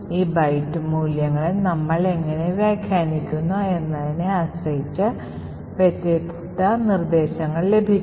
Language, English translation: Malayalam, So, depending on how we interpret these byte values we can get different instructions